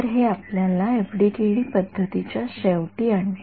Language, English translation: Marathi, So, this brings us to an end of the FDTD method right